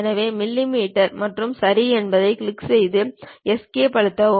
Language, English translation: Tamil, So, millimeters and click Ok, then press Escape